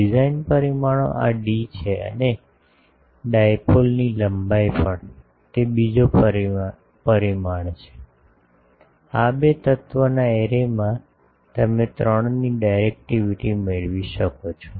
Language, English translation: Gujarati, Design parameters are this d and also the length of the dipole; that is also another parameter, with that in a these two element array you can get a directivity of 3 can be achieved